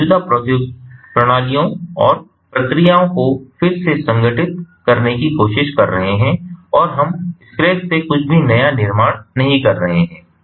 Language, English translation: Hindi, we are trying to reengineer the existing systems and the processes and we are not building anything brand new from scratch